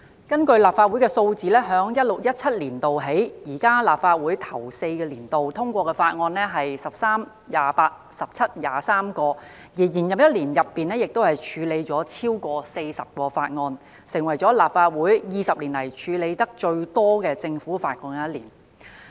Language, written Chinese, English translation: Cantonese, 根據立法會數字，自 2016-2017 年度起，現屆立法會首4個年度通過的法案數量為13、28、17及23項，而在延任的一年中，則處理了超過40項法案，成為立法會20年來處理得最多政府法案的一年。, According to the statistics of the Legislative Council since 2016 - 2017 the current Legislative Council has passed 13 28 17 and 23 bills respectively in the first four years of its term and has further dealt with more than 40 government bills during the one - year extended term the highest number in the past two decades of the Legislative Council